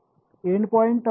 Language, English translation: Marathi, Endpoint term is